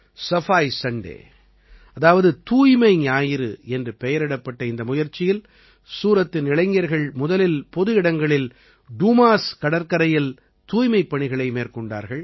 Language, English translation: Tamil, Under this effort, which commenced as 'Safai Sunday', the youth of Suratearlier used to clean public places and the Dumas Beach